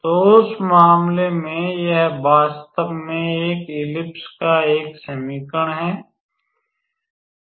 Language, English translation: Hindi, So, then in that case it is basically an equation of an ellipse actually